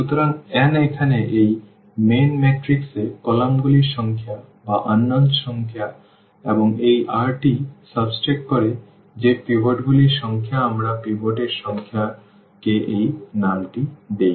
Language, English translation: Bengali, So, n is the number of the columns there in this main matrix here a or the number of unknowns and minus this r, that is the number of pivots we give this name to the number of pivots